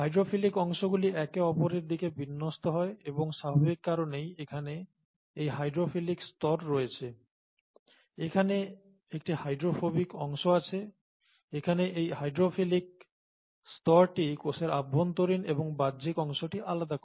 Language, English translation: Bengali, And hydrophobic, like likes like, therefore they orient towards each other and by their very nature there is a hydrophilic layer here, there is a hydrophobic core here, and a hydrophilic layer here, separating the intracellular from the extracellular parts